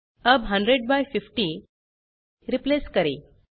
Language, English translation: Hindi, Lets now replace 100 by 50